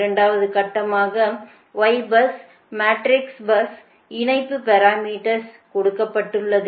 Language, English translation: Tamil, second step is form the y bus matrix, that is, line parameters are given